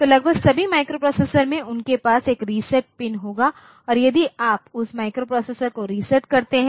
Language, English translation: Hindi, So, almost, all the microprocessors they will have a reset pin and if you reset that microprocessor